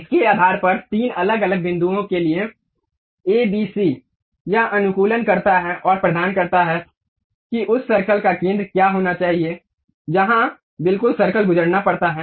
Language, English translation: Hindi, Based on that a, b, c for three different points, it optimizes and provides what should be the center of that circle where exactly circle has to pass